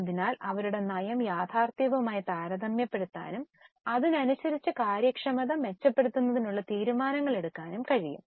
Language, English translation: Malayalam, So we can compare their policy with the actual and accordingly take the decisions for improving the efficiency